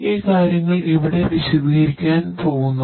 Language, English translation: Malayalam, So, these things are going to be explained over here